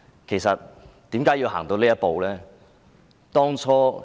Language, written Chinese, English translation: Cantonese, 其實為何要走到這一步呢？, Actually why have we taken this step?